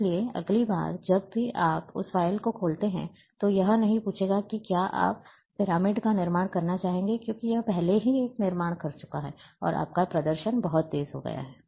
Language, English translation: Hindi, So, next time whenever you open that file, it will not ask whether you would like to construct the pyramid, because it has already constructed one, and your display becomes much, much faster